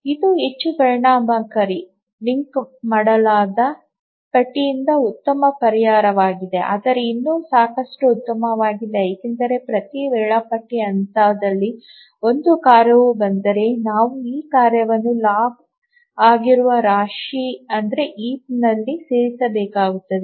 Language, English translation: Kannada, But you can see that this is a better solution than a linked list, more efficient, but then still it is not good enough because at each scheduling point we need to, if a task arrives, we need to insert the task in the heap which is log n